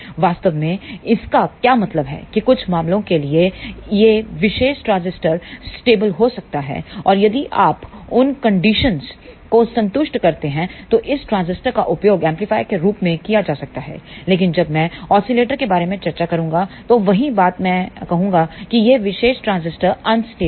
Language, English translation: Hindi, What it really means is that for certain cases, this particular transistor may be stable and if you satisfy those condition, then this transistor can be used as an amplifier, but when I discuss about the oscillator, the same thing I am going to say that this particular transistor is unstable